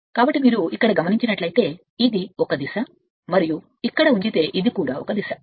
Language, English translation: Telugu, So that means you are because here it is if you look into that this is a direction and if you put here this is also direction